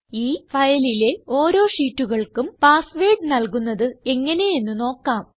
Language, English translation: Malayalam, Lets learn how to password protect the individual sheets from this file